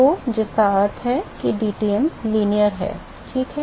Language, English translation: Hindi, So, which means Tm is linear yes, right